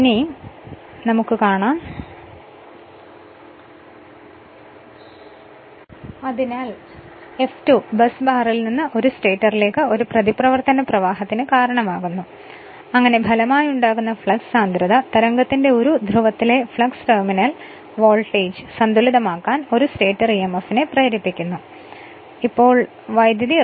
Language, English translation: Malayalam, So, F2 causes a reaction currents to flow into the stator from the busbar such that the flux per pole that is a phi r of the resulting flux density wave induces a stator emf to just balance the terminal voltage because now current is flowing through the rotor